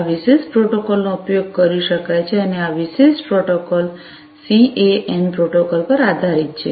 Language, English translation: Gujarati, This particular protocol could be used and this particular protocol is based on the CAN protocol